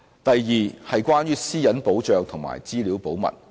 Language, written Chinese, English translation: Cantonese, 第二，關於私隱保障及資料保密。, The second concern is about the protection of privacy and confidentiality of information